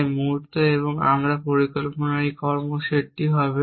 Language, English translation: Bengali, So the moment in set this action in to my plan